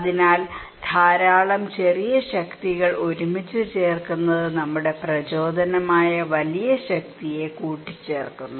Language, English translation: Malayalam, So, putting a lot of small power together adds that the big power that is our motivation